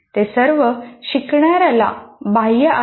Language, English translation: Marathi, All these are external to the learner